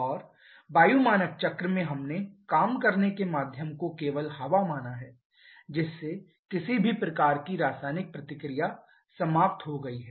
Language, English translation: Hindi, And in air standard cycle we considered the working medium to be only air thereby eliminating any kind of chemical reactions